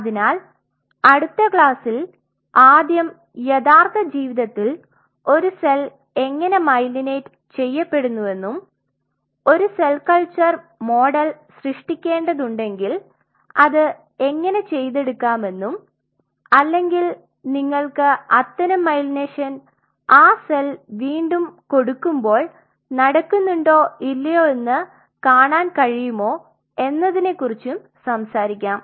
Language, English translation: Malayalam, So, the first thing what we will be doing not in this class in the next class we will talk about how in real life a cell gets myelinated and how if you have to create a cell culture model how you can regain it or how you can reintroduce the cell to see whether such myelination happens or not